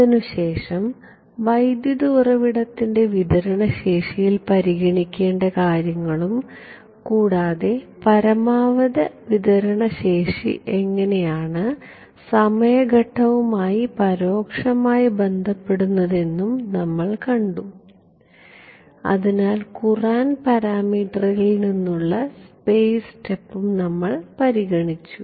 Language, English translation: Malayalam, Then we looked at some considerations on the current source bandwidth and how that the maximum bandwidth gets indirectly related to the time step and therefore, the space step from the courant parameter ok